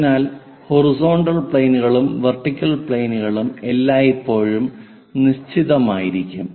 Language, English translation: Malayalam, So, horizontal and vertical planes, the vertical one and the horizontal one always fixed